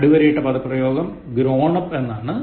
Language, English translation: Malayalam, Underlined phrase, grown up